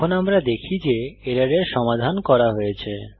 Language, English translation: Bengali, Now we see that the error is resolved